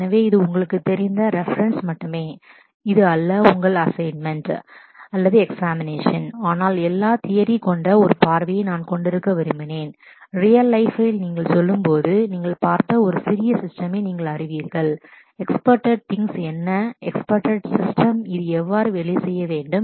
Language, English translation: Tamil, So, well this is for your you know reference only, this is this is not for your assignment or examination, but I just wanted to have a view that with all the theory and you know a small hands on that you have seen, when you go to the real life what are the expected things what are the expected system this will have to work with